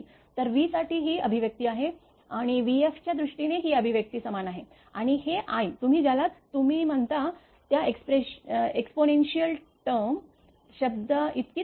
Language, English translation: Marathi, So, these are the expression for v and the is equal to in terms of v f and this is i is equal to one exponential term your what you call added right here and here